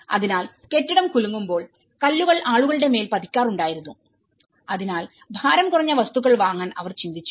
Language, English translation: Malayalam, So, when the building shakes obviously, the stones used to fell down on the people, so that is where they thought of going for lightweight materials